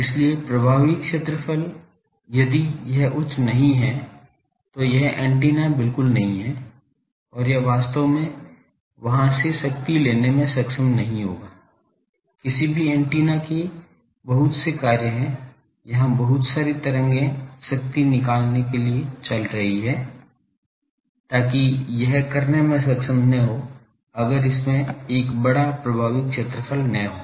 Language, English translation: Hindi, So, effective area if it is not high, then it is not a at all antenna and, it would not be able to take the power take from there actually, any antennas job is suppose there are lot of here waves going on so, to extract power so, that it would not be able to do, if it does not have a sizeable effective area